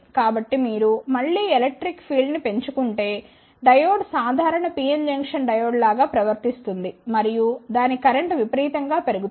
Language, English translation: Telugu, So, if you again increase the electric field diode will behave like a normal PN junction diode and it is current will increase exponentially